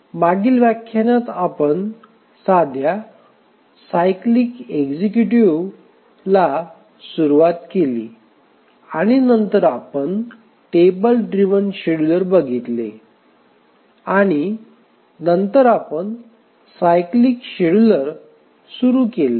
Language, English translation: Marathi, In the last lecture we started looking at the simple cyclic executives and then we looked at the table driven scheduler and then we had started looking at the cyclic scheduler